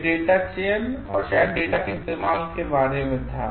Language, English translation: Hindi, This was about like the data selection and maybe running the data